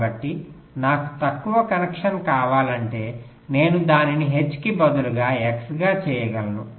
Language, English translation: Telugu, so so if i want shorter connection, i can make it as an x instead of a h